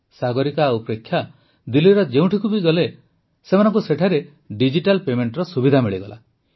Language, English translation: Odia, Wherever Sagarika and Preksha went in Delhi, they got the facility of digital payment